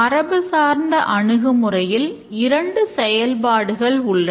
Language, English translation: Tamil, In the traditional approach there are two main activities